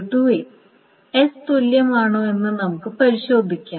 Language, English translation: Malayalam, So now let us see whether this is equivalent to S